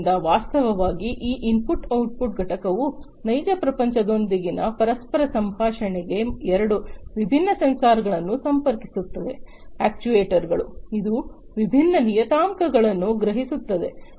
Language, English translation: Kannada, So, this input output component in fact, for the interaction with the real world connects two different sensors, actuators, and which can sense different parameters